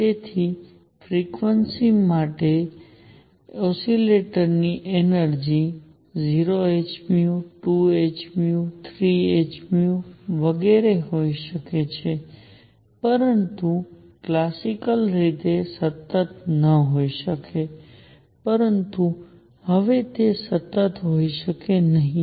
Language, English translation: Gujarati, So, energy of an oscillator with frequency nu can be 0 h nu, 2 h nu, 3 h nu and so on, but cannot be continuous classically we had continuous distribution, but now it cannot be continuous